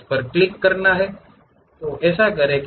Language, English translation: Hindi, Click that, do that